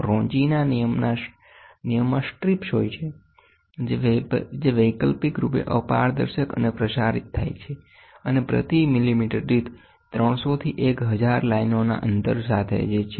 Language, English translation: Gujarati, Ronchi rule consists of strips that are alternatively opaque and transmitting with spacing of 300 to 1,000 lines per millimeter, gratings per millimeter